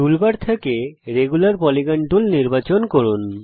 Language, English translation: Bengali, Select Regular Polygon tool from the toolbar